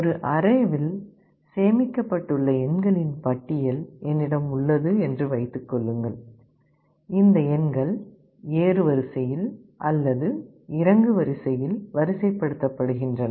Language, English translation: Tamil, Just assume that I have a list of numbers which are stored in an array, and these numbers are sorted in either ascending or descending order